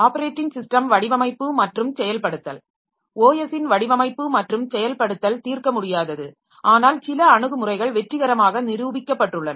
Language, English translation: Tamil, So, design and implementation of OS is not solvable but some approaches have proven successful